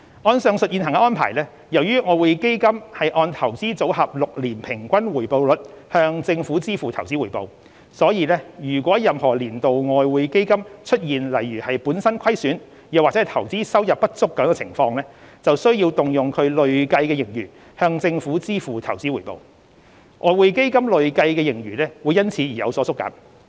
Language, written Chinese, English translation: Cantonese, 按上述現行安排，由於外匯基金按"投資組合 "6 年平均回報率向政府支付投資回報，所以如果任何年度外匯基金出現如本身虧損或投資收入不足等情況，便需要動用其累計盈餘向政府支付投資回報，外匯基金累計盈餘會因此有所縮減。, Under the said existing arrangements as EF pays investment return to the Government based on the average annual rate of return of its Investment Portfolio for the past six years EF would need to make use of its accumulated surplus to pay investment return to the Government in case EF has a loss or insufficient investment income in any financial year leading to a shrinkage of the accumulated surplus of EF